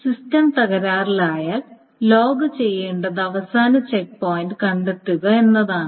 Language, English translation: Malayalam, Is that now if a system crashes, all that the log needs to do is to find the last checkpoint